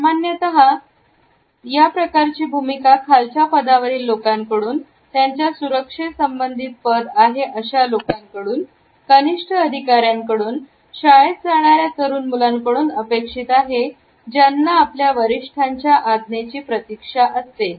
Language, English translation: Marathi, Normally, we come across this standing position in those people who are subordinate, who hold a security related position, amongst junior officers, young school children who are waiting to receive a direction from a senior person